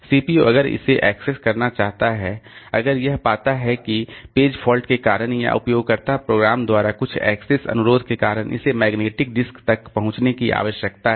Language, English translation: Hindi, CPU if it wants to access, if it finds that due to page fault or due to some access request by a user program, it needs to access the magnetic disk